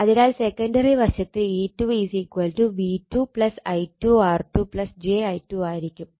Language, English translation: Malayalam, So, that is your, E 2 is equal to V 2 plus I 2 R 2 plus j I 2 X 2